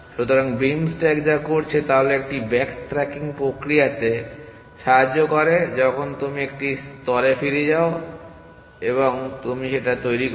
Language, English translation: Bengali, So, what is beam stack is doing is it helping with the back tracking process once you back track to a layer and you generate